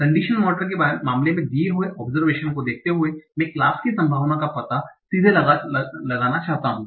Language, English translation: Hindi, In the case of conditional model, given the observation directly, I want to find out the probability of the class